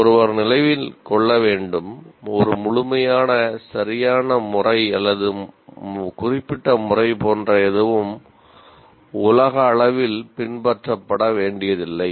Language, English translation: Tamil, And another one, one should remember, there is nothing like an absolute correct method, a specific method that needs to be universally followed